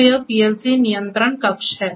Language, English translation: Hindi, So, this is the PLC control panel